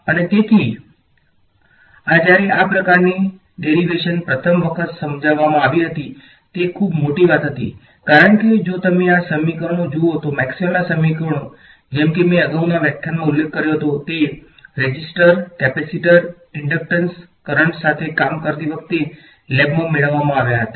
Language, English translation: Gujarati, And so this, when this kind of a derivation was first understood was a very big deal because if you look at these equations Maxwell’s equations like I mentioned in the previous lecture these were derived in a lab dealing with resistors, capacitors, inductance currents